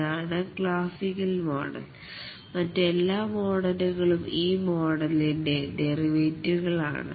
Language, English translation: Malayalam, This is the classical model and all other models are derivatives of this model